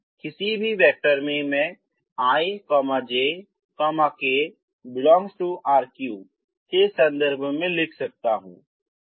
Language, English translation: Hindi, Because any vector i can write in terms of ijk in r3